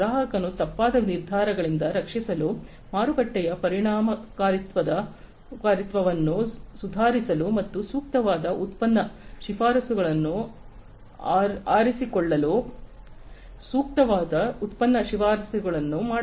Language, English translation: Kannada, For the customer to protect from wrongful decisions, improve market effectiveness, and picking appropriate product recommendations, making appropriate product recommendations